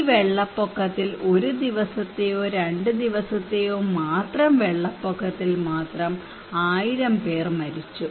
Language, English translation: Malayalam, Around 1,000 people were killed due to this flood just one day flood or 2 days flood